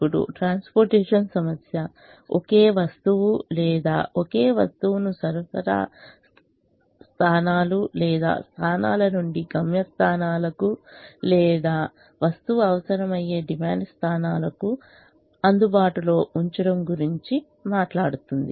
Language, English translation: Telugu, now the transportation problem talks about transporting a commodity or a single item from a set of supply points or points where the item is available to destination points or demand points where the item is required